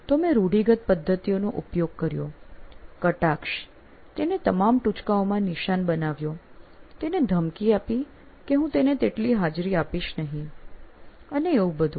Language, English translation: Gujarati, So I used my usual methods, sarcasm, making him a butt of all jokes, threatening him, not that I won't give him attendance, all that